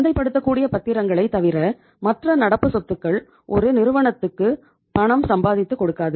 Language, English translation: Tamil, So other than marketable securities these current assets are not going to earn anything for the firm